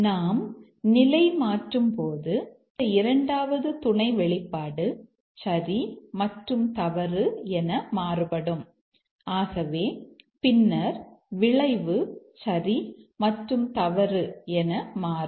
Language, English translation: Tamil, And as you toggle this second sub expression to true and false, then the outcome will toggle to true and false